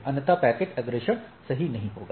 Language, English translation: Hindi, Otherwise, the packet forwarding will be not will not be possible right